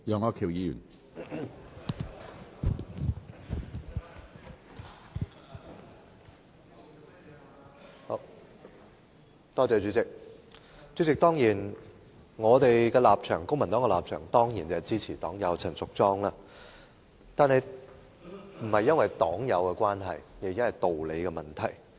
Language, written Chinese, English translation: Cantonese, 主席，公民黨的立場當然是支持黨友陳淑莊議員的議案，但這不是因為黨友的關係，而是道理的問題。, President the Civic Party certainly supports the motion of Ms Tanya CHAN our party member . We render support not because Tanya is our party comrade but because it is justified to give support